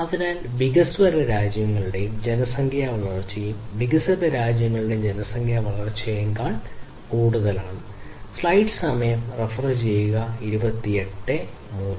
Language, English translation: Malayalam, So, the population growth of countries developing and disadvantage is typically greater than the population growth of the developed and advantaged countries